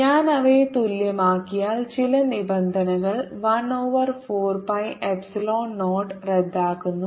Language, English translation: Malayalam, lets simplify it further: q over four pi epsilon zero